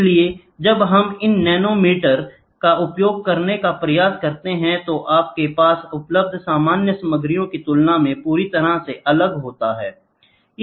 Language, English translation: Hindi, So, when we try to use these nanomaterials, you have a completely different ball game as compared to the normal materials available